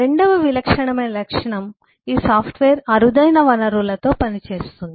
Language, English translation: Telugu, second typical characteristic would be this software work with scarce resources